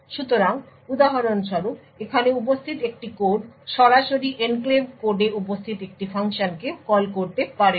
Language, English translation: Bengali, So, for example a code present over here cannot directly call a function present in the enclave code